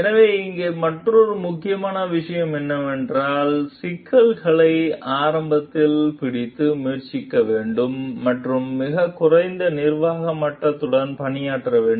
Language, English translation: Tamil, So, another important point over here is that we should try to catch the problems early, and work with the lowest managerial level possible